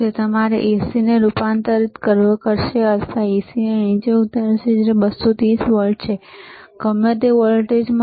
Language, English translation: Gujarati, iIt will convert your AC orto step down then give the AC, which is lower 230 volts, to whatever voltage